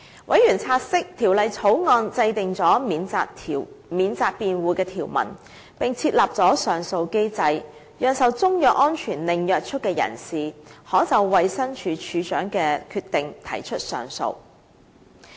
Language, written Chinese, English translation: Cantonese, 委員察悉，《條例草案》制訂了免責辯護的條文，並設立了上訴機制，讓受中藥安全令約束的人士，可就衞生署署長的決定提出上訴。, Members note that the Bill provides for defences and the establishment of an appeal mechanism to enable a person bound by a CMSO to appeal against the decision of the Director